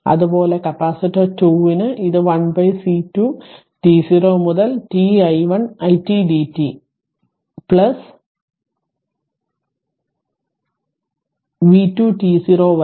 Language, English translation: Malayalam, Similarly, for capacitor 2 it is 1 upon C 2 t 0 to t it dt plus v 2 t 0